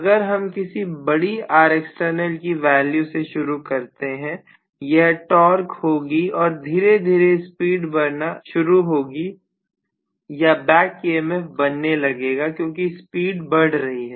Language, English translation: Hindi, So if we start off with a large R external value, the torque is going to be this and slowly the speed is going to travel or the back EMF is going to build up because the speed is actually building up